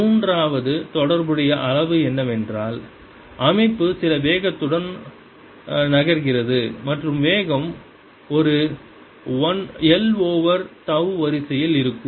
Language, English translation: Tamil, and third related quantity would be that maybe the system is moving with some velocity and there velocity is of the order of a, l over tau